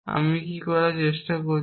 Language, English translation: Bengali, What am I trying to do